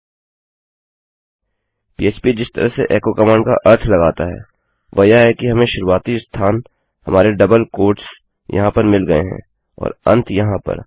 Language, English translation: Hindi, The way php interprets a command like echo is that we get the starting point, our double quotes here and our ending point here